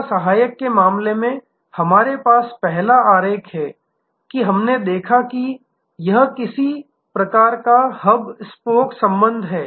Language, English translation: Hindi, In case of service subsidiary means we have the first diagram, that we looked at that it is some kind of a hub spoke relationship